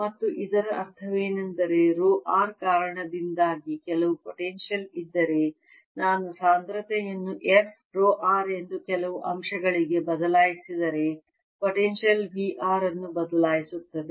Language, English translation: Kannada, and what it means is if there's some potential due to rho r, if i change the density to some factor, f, rho r, the potential correspondingly will change the potential v r